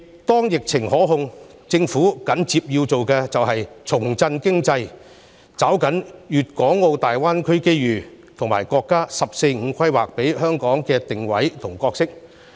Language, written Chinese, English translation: Cantonese, 當疫情受控，政府緊接要做的是重振經濟，抓緊粵港澳大灣區的機遇，以及國家"十四五"規劃給香港的定位和角色。, Once the epidemic is put under control the Government should revitalize the economy seize the opportunities in the Guangdong - Hong Kong - Macao Greater Bay Area and capitalize on the positioning and role designated to Hong Kong in the National 14 Five - Year Plan